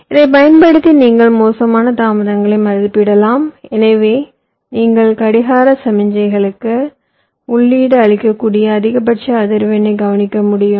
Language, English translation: Tamil, using this you can estimate the worst is delays, and hence you can predict the maximum frequency with which you can feed the clock clock signal